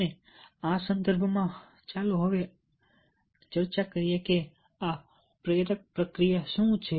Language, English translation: Gujarati, and in this context, let us now discuss what is this motivational process